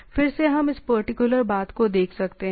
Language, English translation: Hindi, Again we can look at this particular thing